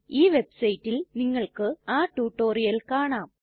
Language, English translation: Malayalam, You can find the tutorial at this website